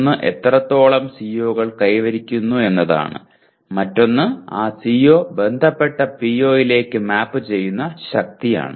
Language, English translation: Malayalam, One is to what extent COs are attained and the other one is the strength to which that CO maps on to POs